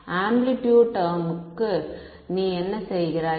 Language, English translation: Tamil, For the amplitude term what do you do